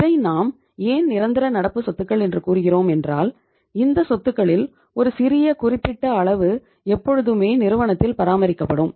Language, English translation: Tamil, But we call them permanent current assets why because that is the minimum level of these assets the firm always maintains